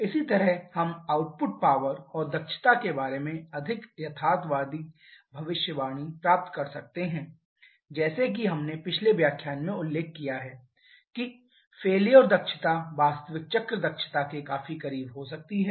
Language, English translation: Hindi, Similarly we can get a more realistic prediction about the output power and efficiency like we have mentioned in the previous lecture that the failure efficiency can be quite close to the actual cycle efficiency